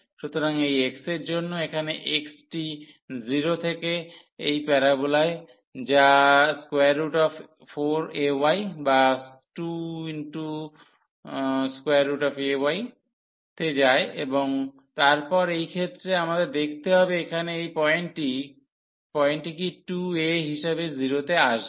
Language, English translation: Bengali, So, for this x here x goes from 0 x goes from 0 and to this parabola which is a square root this 4 a y or square to square root a y and then in this case we have to also see what is this point here which will come as 2 a into 0